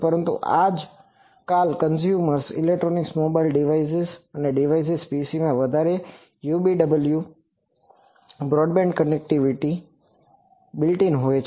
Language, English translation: Gujarati, But, nowadays in consumer electronics mobile device devices and PCs all have UWB broadband connectivity built in